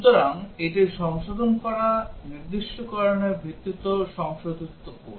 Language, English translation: Bengali, So, this is the corrected code based on the corrected specification